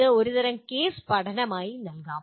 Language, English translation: Malayalam, This can be given as some kind of case study